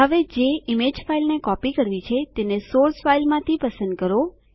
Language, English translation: Gujarati, Now select the image from the source file which is to be copied